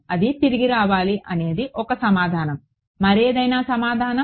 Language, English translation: Telugu, I should come back that is one answer any other answer